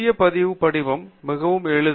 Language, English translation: Tamil, And the registration form is very simple